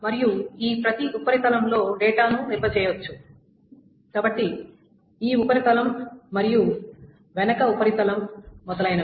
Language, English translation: Telugu, And data can be stored on each of these surfaces, this surface and the back surface, so on so forth